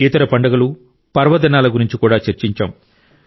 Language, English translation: Telugu, We also discussed other festivals and festivities